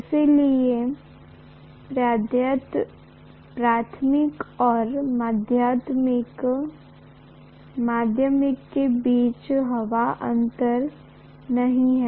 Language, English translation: Hindi, So there is no air gap between primary and secondary